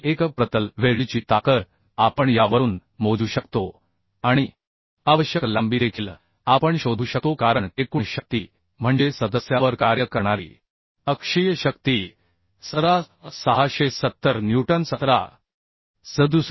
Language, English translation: Marathi, 33 newton per millimetre So strength of weld per unit length we can calculate from this and required length also we can find out because the total force means axial force acting on the member is 17670 newton 17